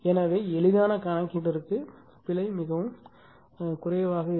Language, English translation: Tamil, So, error will be very less, right for easy computation